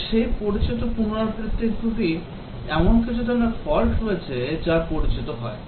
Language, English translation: Bengali, Let me repeat that word, that there are certain types of faults that get introduced